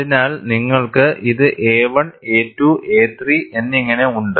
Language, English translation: Malayalam, So, you have this as a 1, a 2 and a 3